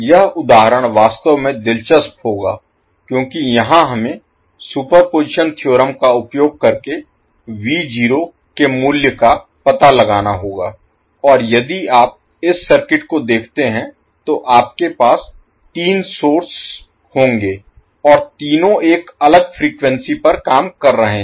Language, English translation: Hindi, This example will be really interesting because here we need to find out the value of V naught using superposition theorem and if you see this particular circuit you will have three sources and all three are operating at a different frequency